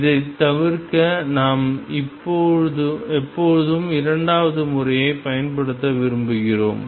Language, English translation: Tamil, To avoid this we always prefer to use the second method